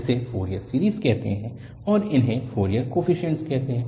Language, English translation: Hindi, This is called Fourier series and these are called Fourier coefficients